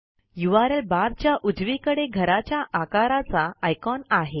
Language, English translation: Marathi, To the right of the URL bar, is an icon shaped like a house